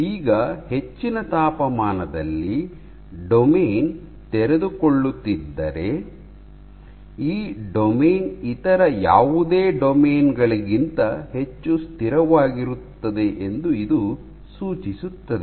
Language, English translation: Kannada, Now, if a domain which unfolds at a higher temperature, this would suggest that this domain is much more stable than any of these other domains